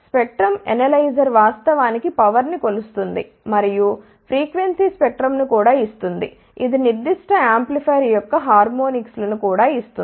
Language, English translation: Telugu, A spectrum analyzer will actually measure the power and also gives the frequency spectrum, it will also give the harmonics of that particular amplifier